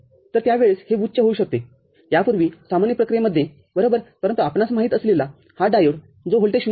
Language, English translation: Marathi, So, at that time this can become high in earlier, in normal operation right, but because of this diode the you know, which clamps the voltage to 0